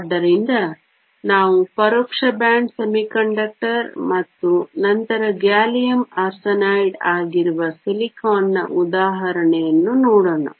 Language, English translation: Kannada, So, let us look at an example of silicon which is an indirect band semiconductor, and then gallium arsenide which is the direct band semiconductor